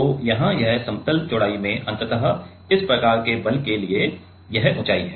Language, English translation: Hindi, So, here this in plane width is ultimately for this kind of force is the height right